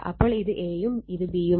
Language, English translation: Malayalam, So, this is A, this is B